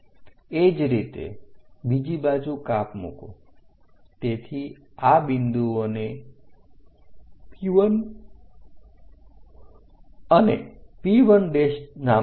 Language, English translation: Gujarati, Similarly, on the other side make a cut, so name these points as P 1 and P 1 prime